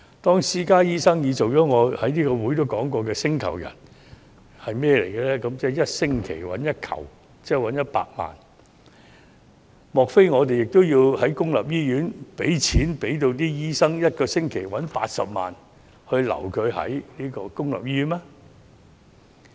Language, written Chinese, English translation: Cantonese, 當私家醫生已成為我在此曾提及的"星球人"，即1星期賺取 "1 球"，莫非我們也要讓公營醫院的醫生1星期賺取80萬元，以挽留他們嗎？, When private doctors have already become the so - called extra - terrestrials referring to those who earn 1 million per week that I mentioned here before do we also need to offer a salary of 800,000 per week to doctors in public hospitals so as to retain them in the public sector?